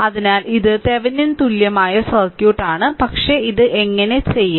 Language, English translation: Malayalam, So, this is that Thevenin equivalent circuit, but how to do it